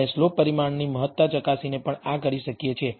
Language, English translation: Gujarati, We can also do this by testing the significance of the slope parameter